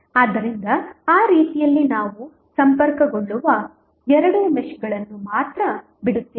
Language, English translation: Kannada, So, in that way we will be left with only two meshes which would be connected